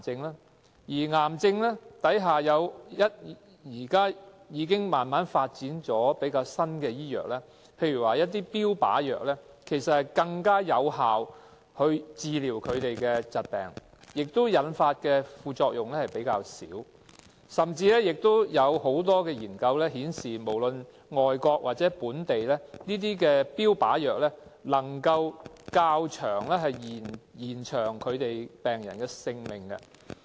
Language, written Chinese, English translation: Cantonese, 就着癌症，醫學界現時已發展出一些比較新的藥物，例如標靶藥，可以更有效地治療疾病，副作用也比較少，甚至有很多外國和本地的研究顯示，這些標靶藥能夠延長病人的性命。, With the advancement in medicine new drugs against cancer are now available . For example targeted therapy drugs are more effective with less side effects . Many researches done by foreign and local institutions have indicated that these targeted therapy drugs can prolong patients lives